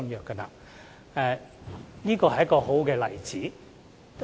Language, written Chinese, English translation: Cantonese, 這是一個很好的例子。, This is a very good example